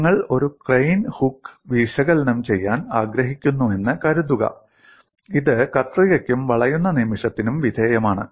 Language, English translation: Malayalam, Suppose you want to analyze a crane hook, it is subjected to shear as well as bending moment